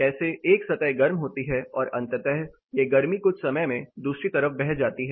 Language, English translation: Hindi, How one surface is heated up and eventually it passes on the heat or it flows to the other side in course of time